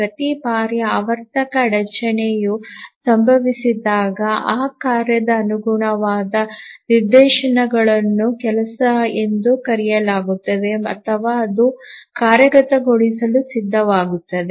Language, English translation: Kannada, So each time the periodic timer interrupt occurs, the corresponding instance of that task which is called as a job is released or it becomes ready to execute